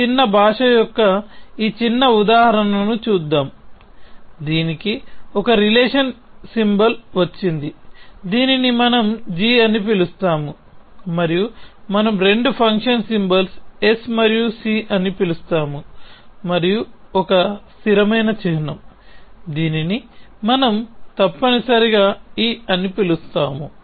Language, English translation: Telugu, So, let us look at this small example of a small language which is got one relation symbol which, we have called g and two function symbols we have called s and c and one constant symbol, which we have called e essentially